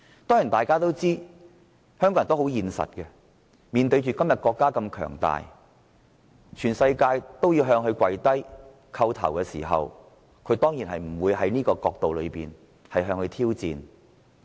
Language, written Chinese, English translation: Cantonese, 當然，大家都知道香港人很現實，今天國家如此強大，全世界也向中國下跪叩頭，他們當然不會向國家挑戰。, Of course we all know that Hong Kong people are very realistic . Now that the country is so strong and countries around the world are kowtowing to China Hong Kong people certainly will not challenge the country